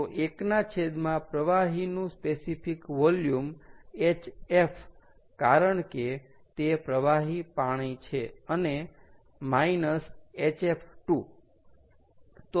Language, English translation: Gujarati, one, divided by hf of the fluid, hf because its liquid water, and minus hf